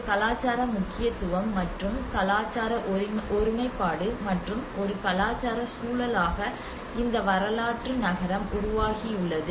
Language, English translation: Tamil, And there is a cultural significance and cultural integrity and as a cultural context which actually frames this historical city